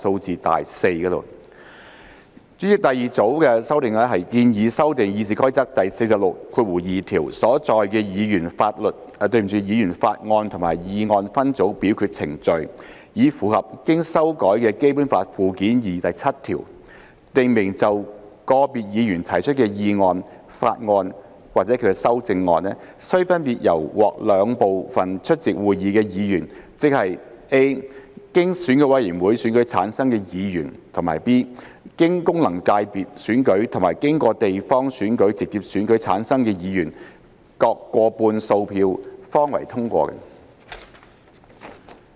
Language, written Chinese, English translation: Cantonese, 主席，第二組的修訂建議修訂《議事規則》第462條所載的議員法案和議案分組表決程序，以符合經修改的《基本法》附件二第七條，訂明就個別議員提出的議案、法案或其修正案須分別獲兩部分出席會議的議員，即 a 經選舉委員會選舉產生的議員；及 b 經功能界別選舉和經地方選區直接選舉產生的議員，各過半數票方為通過。, President the second group of amendments is proposed to amend the split voting procedures for Members bills and motions under Rule 462 of RoP to align with Article 7 of the amended Annex II to the Basic Law which provides that the passage of motions bills or amendments thereto introduced by individual Members of the Legislative Council shall require a simple majority of votes of each of the two groups of Members present ie